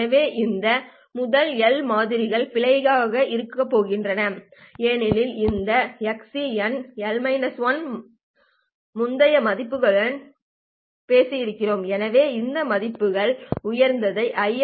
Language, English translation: Tamil, So these first L samples are going to be in error because this XC of N minus L minus 1 would have talked the previous values